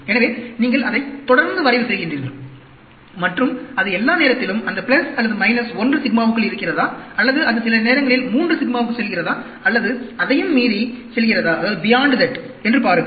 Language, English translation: Tamil, So, you keep on plotting it, and see whether it is all the time lying within that plus or minus 1 sigma, or does it go sometimes 3 sigma, or does it go beyond that, and so on